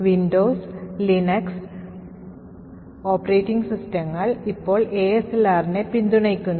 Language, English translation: Malayalam, Windows and Linux operating systems now support ASLR by default